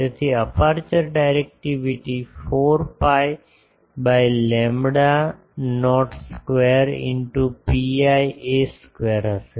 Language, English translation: Gujarati, So, aperture directivity will be 4 pi by lambda not square into pi a square